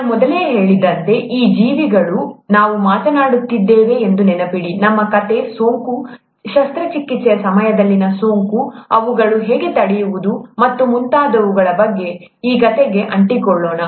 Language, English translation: Kannada, As I mentioned earlier, these organisms, remember we are talking, our story is about infection, infection in during surgeries, how to prevent them and so on so forth, let’s stick to that story